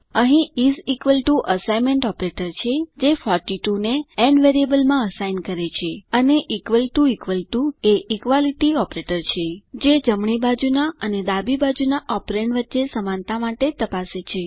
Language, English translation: Gujarati, Here is equal to is the assignment operator, which assigns 42 to the variable n, And is equal to is equal to is the equality operator, which checks for the equality between the right hand and the left hand side operands